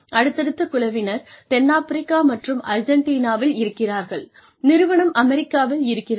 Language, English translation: Tamil, And, may be, some may be South Africa and Argentina, and the company is based in the United States